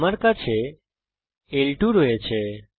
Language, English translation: Bengali, I have L 2